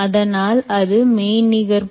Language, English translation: Tamil, so that's a virtual object